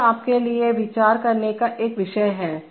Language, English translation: Hindi, So that is a point to ponder for you